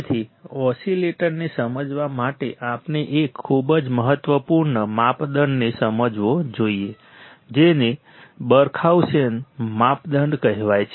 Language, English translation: Gujarati, So, to understand the oscillator we must understand a very important criteria called Barkhausen criterion